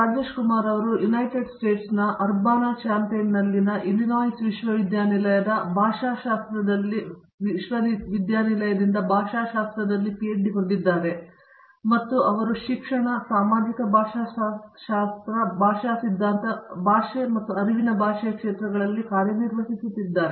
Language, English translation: Kannada, Rajesh Kumar has a PhD in Linguistics from the University of Illinois at Urbana Champaign in the United States and he works in the areas of a language in education, social linguistics, linguistic theory and language and cognition